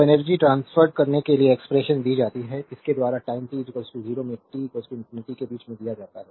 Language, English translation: Hindi, So, expression for energy transferred is given by it is given in between time t is equal to 0 to t is equal to infinity